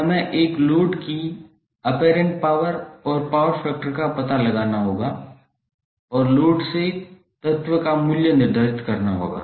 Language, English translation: Hindi, Now we have to find out the apparent power and power factor of a load and determined the value of element from the load